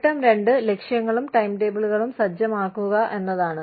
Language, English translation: Malayalam, Step two is, setting goals and timetables